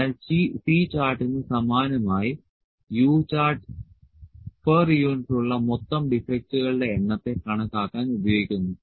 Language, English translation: Malayalam, So, similar to C chart, the U chart is used to calculate the total number of defects per unit